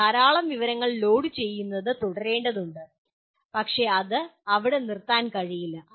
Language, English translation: Malayalam, And you have to keep loading lot of information but it cannot stop there